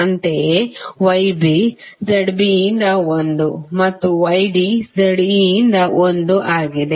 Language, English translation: Kannada, Similarly Y B is 1 by Z B and Y D 1 by Z D